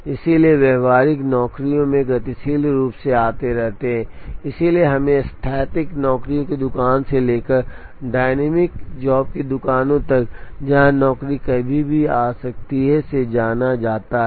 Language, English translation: Hindi, So, in practice jobs keep coming dynamically, so we have to move from what are called static job shops to dyamic job shops, where the jobs can come at any time